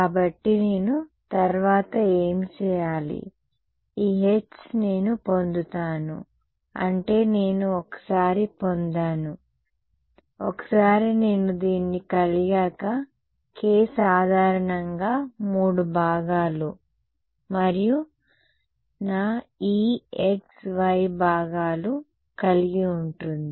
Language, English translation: Telugu, So, what do I need to do next, this H that I get, I mean once I get, once I have this k cross e, k in general is given by this right, k has 3 components and my e has x y components